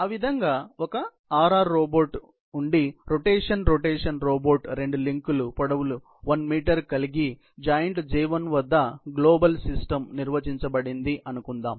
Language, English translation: Telugu, Similarly, if a RR robot, rotation rotation robot has two links of lengths, 1 meter assuming the global system is defined at joint J1